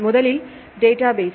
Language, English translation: Tamil, So, what is a database